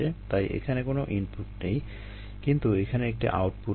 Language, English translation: Bengali, there is no input, there is no output, there is no ah